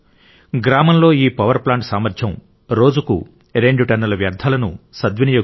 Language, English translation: Telugu, The capacity of this village power plant is to dispose of two tonnes of waste per day